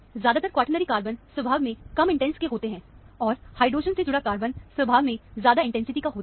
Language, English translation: Hindi, Usually, the quaternary carbons are low intense in nature, and the carbons attached to hydrogens are high intensity in nature